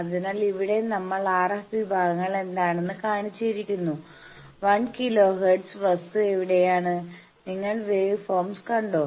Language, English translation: Malayalam, So, here we have shown which is the RF sections, where is the 1 kilo hertz thing, and you see the wave forms